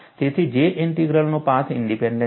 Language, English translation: Gujarati, So, J Integral is path independent